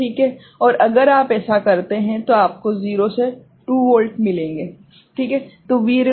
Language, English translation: Hindi, And if you do that, you will get 0 to 2 volt